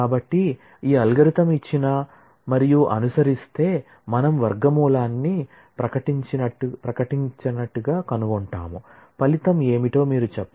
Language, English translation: Telugu, So, given and following this algorithm, we will find the square root declaratively, you can just say that what is the result